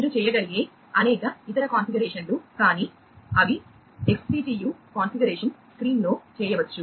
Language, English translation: Telugu, Many other configure configurations you can do, but those can be done in the XCTU configuration screen